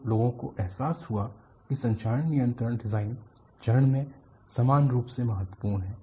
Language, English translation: Hindi, So, people realizedcorrosion control is equally important at the design phase